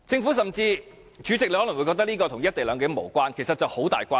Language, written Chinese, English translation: Cantonese, 代理主席，你可能會覺得這跟"一地兩檢"無關，但其實有莫大關係。, Deputy President you may consider this irrelevant to the co - location issue but it is in fact closely related